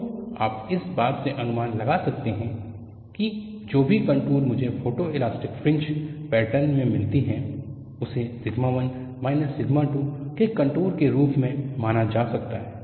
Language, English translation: Hindi, So, you can infer from this that whatever the contours that I get in photoelastic fringe pattern can be considered as contours of sigma 1 minus sigma 2